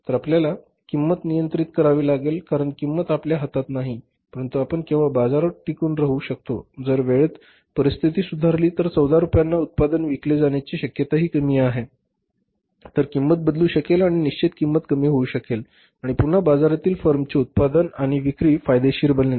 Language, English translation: Marathi, So, we have to sustain in the market so we have to control the cost because price is not in our hands but we only can sustain in the market if the situation improves in the time to come, selling the product at 14 rupees also will be possible if the cost is reduced, variable and the fixed cost is reduced and again the product of the firm manufacturing and selling of the product of the firm in the market becomes profitable